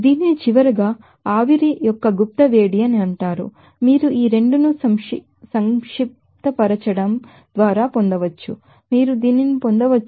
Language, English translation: Telugu, Which is called latent heat of vaporization finally, you can get it by just summing up these 2, you can get this 240 1